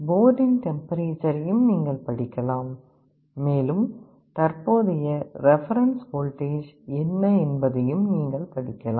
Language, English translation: Tamil, You can read the temperature of the board also and also you can read, what is the current reference voltage